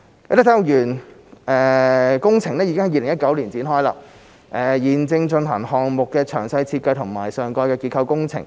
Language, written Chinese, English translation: Cantonese, 啟德體育園工程已於2019年展開，現正進行項目的詳細設計及上蓋結構工程。, The Kai Tak Sports Park project has commenced in 2019 and the detailed design of the project and superstructure works are under way